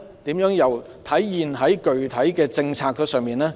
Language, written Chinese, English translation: Cantonese, 又如何體現在具體政策上呢？, How to translate it into the actual policy?